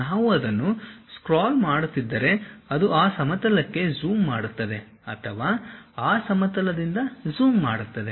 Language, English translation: Kannada, If we are scrolling it, it zoom onto that plane or zooms out of that plane